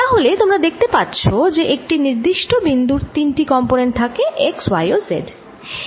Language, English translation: Bengali, so you can see that at any given point it has components, all three components, x, y and z